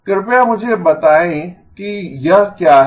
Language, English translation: Hindi, Please tell me what this is